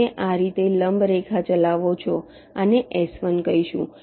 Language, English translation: Gujarati, you run ah perpendicular line like this, call this s one